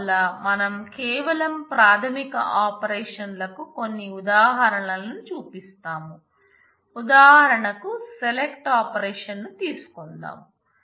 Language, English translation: Telugu, So, we just show a few examples of the basic operations for example, say select operation